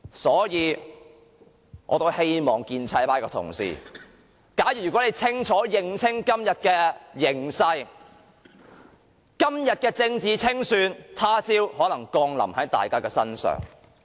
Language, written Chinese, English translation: Cantonese, 所以，我希望建制派的同事，如果你們能認清今天的形勢，便明白今天的政治清算，他朝可能降臨在大家身上。, Therefore I hope that pro - establishment Members can grasp the present situation and realize that the political persecution today may befall anyone one day